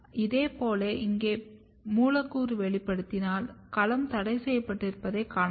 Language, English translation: Tamil, Similarly, if you express molecule in here, you can see that domain is restricted